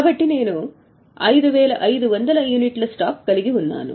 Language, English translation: Telugu, So, I am having a stock of 5,500 units